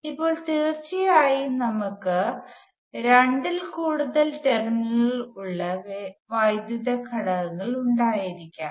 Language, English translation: Malayalam, Now, of course, we can have electrical elements with more than two terminals